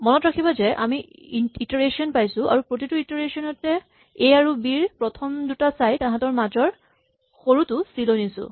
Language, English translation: Assamese, Remember that we had an iteration where in each step of the iteration we looked at, the first element in A and B and move the smaller of the two to C